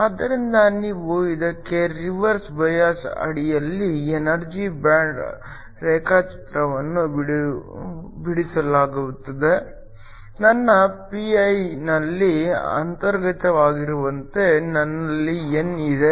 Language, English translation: Kannada, So, If you were to draw the energy band diagram for this under reverse bias, have my pi have intrinsic I have n